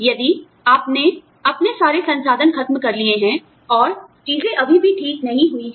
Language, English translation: Hindi, And, if you have exhausted, all your resources, things are still not gone well